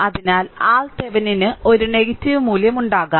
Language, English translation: Malayalam, So, so R Thevenin may have a negative value